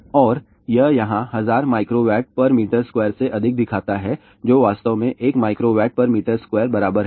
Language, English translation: Hindi, Greater than 1000 micro Watt per meter square which really is equal to 1 milli Watt per meter square